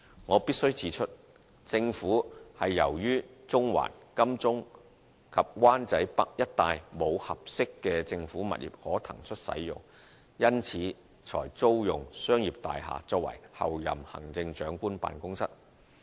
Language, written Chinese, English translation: Cantonese, 我必須指出，政府由於中環、金鐘及灣仔北一帶沒有合適的政府物業可騰出使用，因此才租用商業大廈作為候任行政長官辦公室。, I must point out that the Government has rented the premises in a commercial building as the Office of the Chief Executive - elect due to the absence of any suitable government premises that can be vacated for use in Central Admiralty and Wan Chai North